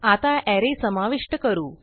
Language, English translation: Marathi, Now let us add an array